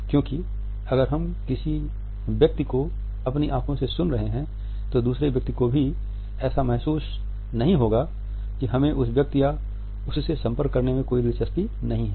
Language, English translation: Hindi, Because if we are listening to a person with our eyes ever did the other person feels that we are not interested either in the person or the contact